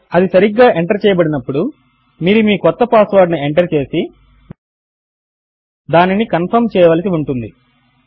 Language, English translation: Telugu, When that is correctly entered ,you will have to enter your new password and then retype it to confirm